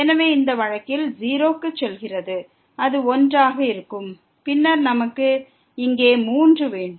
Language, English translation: Tamil, So, in this case t goes to 0, it will be 1 and then, we have 3 here